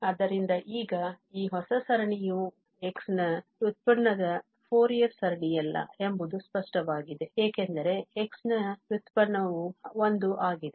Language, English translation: Kannada, So, this new series now, it is clear that this is not the series; the Fourier series of the derivative of x because the derivative of x is 1